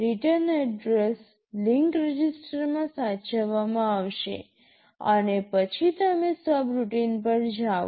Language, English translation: Gujarati, The return address will be saved into the link register, and then you jump to the subroutine